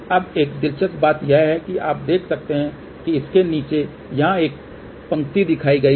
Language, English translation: Hindi, Now, one of the interesting thing you can see that below this there is a line shown over here